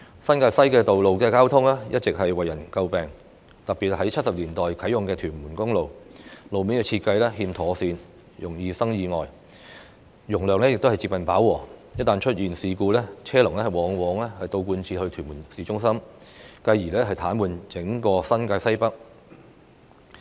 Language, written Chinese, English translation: Cantonese, 新界西的道路交通一直為人詬病，特別是1970年代啟用的屯門公路，路面設計欠妥善，容易生意外，容量亦近飽和；一旦出現事故，車龍往往倒貫至屯門市中心，繼而癱瘓整個新界西北。, The road traffic in New Territories West has all along been a subject of criticism especially Tuen Mun Road that came into service in the 1970s . While its capacity almost reaches saturation point its poor road design has made it prone to accidents which would often result in vehicles queuing back to Tuen Mun Town Centre paralysing the entire Northwest New Territories